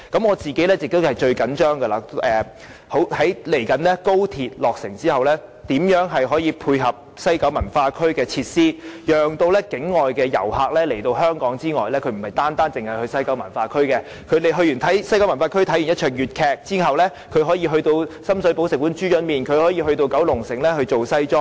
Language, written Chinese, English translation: Cantonese, 我個人最着緊的是，廣深港高鐵未來落成後，當局會如何配合西九文化區的設施，讓境外遊客來到香港時，不單遊覽西九文化區，而是在西九文化區觀看粵劇後，會到深水埗吃"豬潤麵"，或再到九龍城訂製西裝。, I am most anxious about the arrangements made by the authorities for facilities at the West Kowloon Cultural District WKCD after the completion of the Guangzhou - Shenzhen - Hong Kong Express Rail Link in future . Such arrangements should incentivize inbound overseas visitors to visit other places in addition to WKCD . For instance after watching Cantonese opera at WKCD visitors may go to Shum Shui Po to have a bowl of pig liver noodle or go to Kowloon City to get a custom - made suit